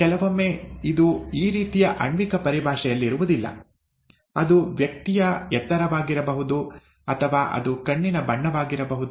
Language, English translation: Kannada, Sometimes it is not as, not in molecular terms as this, it could be the height of a person, or it could be the colour of the eye, and so on and so forth